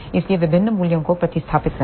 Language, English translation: Hindi, So, substitute the various values